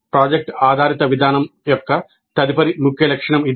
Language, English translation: Telugu, This is the next key feature of project based approach